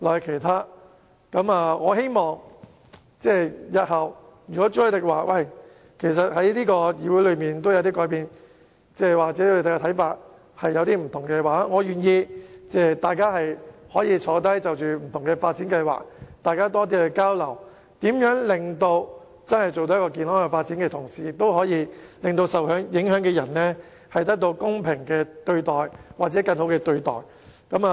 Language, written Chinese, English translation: Cantonese, 如果朱凱廸議員認為本議會已有所改變，或他們有不同的看法，大家其實可以坐下來，就各項發展計劃作更多交流，看看如何在維持健康發展的同時，也可以令受影響人士得到公平或更好的對待。, If Mr CHU Hoi - dick thinks this Council has already changed or they hold different views we can actually sit down for more exchanges on various development projects and consider ways to enable people affected to receive fair or better treatment while maintaining healthy development